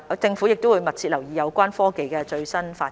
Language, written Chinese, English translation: Cantonese, 政府會密切留意有關科技的最新發展。, The Government will closely monitor the latest development of the technology concerned